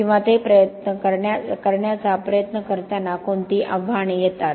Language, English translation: Marathi, Or what are the challenges when we try to do that